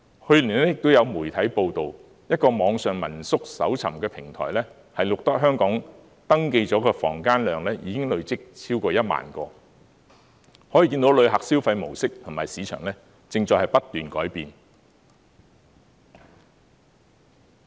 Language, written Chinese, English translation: Cantonese, 去年亦有媒體報道，一個網上民宿搜尋的平台，錄得香港已登記的房問量，累積超過1萬個，可見旅客的消費模式及市場，正在不斷改變。, Last year the media reported that an online family - run lodgings search platform had shown that Hong Kong s number of registered Airbnb units had reached over 10 000 thus it can be seen that the spending mode of visitors and the market are changing continuously